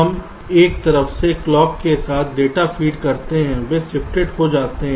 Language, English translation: Hindi, we feed data from one side with clock, they get shifted, we take the data from the other side